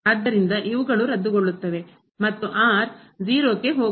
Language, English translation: Kannada, So, these cancel out and goes to 0